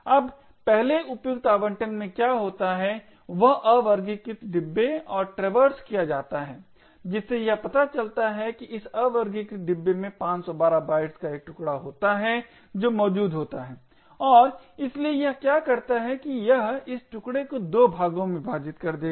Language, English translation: Hindi, Now in the first fit allocation what would happen is the unsorted bin and traversed it could find that in this unsorted bin there is a chunk of 512 bytes that is present and therefore what it would do is it would split this chunk into 2 parts